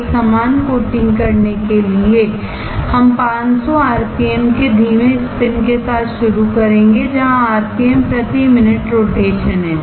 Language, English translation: Hindi, To have a uniform coating we will start with the slow spin of 500 at rpm, where rpm is rotation per minute